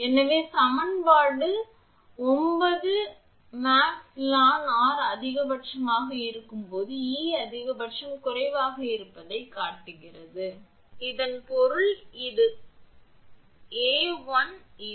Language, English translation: Tamil, So, equation 9 shows that E max is minimum when r l n R by r is maximum; that means this 1 this E max